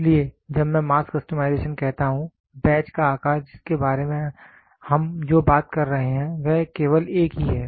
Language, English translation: Hindi, So, when I say mass customization the batch size what we are talking about is only one